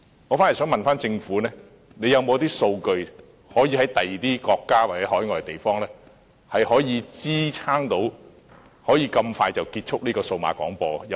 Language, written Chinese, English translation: Cantonese, 我反而想問，政府有沒有其他國家或海外地方的數據可以支持政府這樣快便結束數碼廣播？, I would like to ask this question instead Does the Government have any overseas statistics which will support it to finish DAB off quickly?